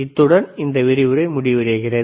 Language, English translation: Tamil, So, this end of this lecture